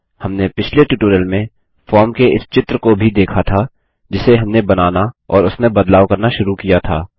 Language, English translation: Hindi, We also saw this image of the form that we started creating and modifying in the last tutorial